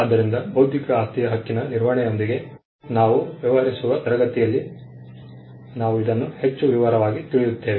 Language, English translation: Kannada, So, in the class where we deal with management of intellectual property right, we will look at this in greater detail